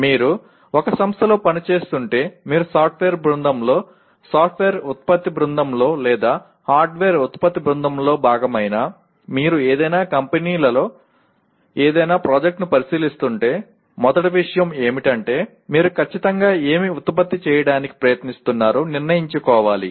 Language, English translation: Telugu, If you are working in a company, whether you are a part of a software team, software product team or a hardware product team, if you are considering any project in any company, the first thing is to decide what exactly are you trying to produce